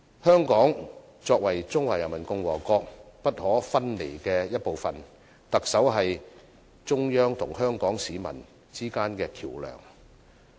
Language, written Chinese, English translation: Cantonese, 香港作為中華人民共和國不可分離的一部分，特首是中央與香港市民之間的橋樑。, Hong Kong is an inalienable part of the Peoples Republic of China and the Chief Executive is a bridge between the Central Authorities and Hong Kong people